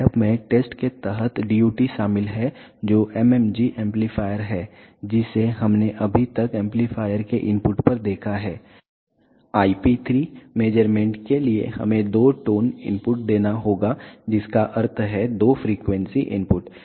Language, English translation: Hindi, The setup contains the DUT under test which is the mmg amplifier which we have just seen at the input of the amplifier for IP 3 measurements we have to give two tone input which means two frequency input